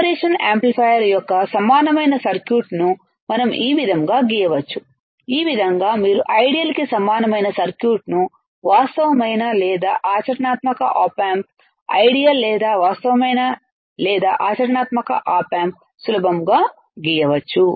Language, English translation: Telugu, This is how we can draw the equivalent circuit of the operational amplifier, this is how you can draw the equivalent circuit of ideal versus actual or real or practical op amp right, ideal or real or practical op amp easy, easy right